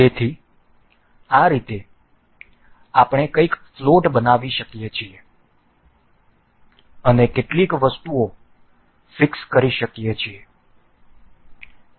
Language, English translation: Gujarati, So, in this way we can make something floating and fixed some items